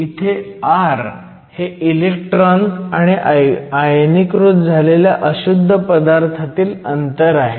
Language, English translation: Marathi, So, r here is the distance between the electron and the ionize impurity